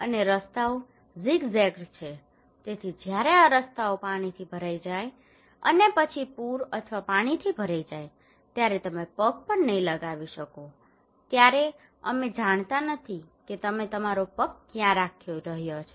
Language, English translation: Gujarati, And the roads are zig zagged, so when these roads are filled by water and then during the flood or inundations that you cannot step in we do not know where you are putting your leg okay